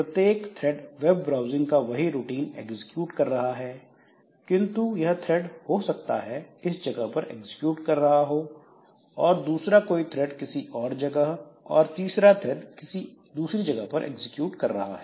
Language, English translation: Hindi, So, each thread is executing the same routine for this web browsing but this thread may be executing in this at this location while the second thread may be somewhere here, third thread may be somewhere here so they are at different program counter values